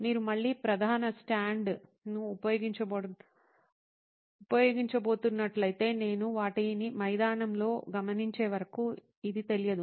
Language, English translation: Telugu, If you are going to use the main stand again this is something that is not aware of till I observed them on the field